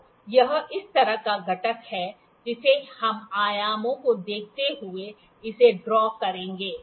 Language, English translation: Hindi, So, it is this kind of component I will make it drawing while we will see the dimensions